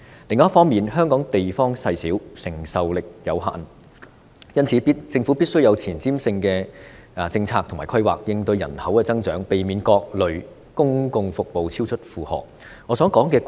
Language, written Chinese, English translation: Cantonese, 另一方面，香港地方細小，承受力有限，因此，政府必須有前瞻性的政策和規劃，應對人口增長，避免各類公共服務超出負荷。, On the other hand Hong Kong is a small place with limited capacity . Hence the Government must have forward - looking policies and planning to cope with population growth and to avoid overburdening of various kinds of public services